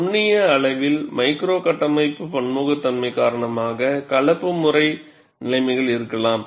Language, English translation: Tamil, At the microscopic level, due to micro structural heterogeneity, mixed mode conditions can exist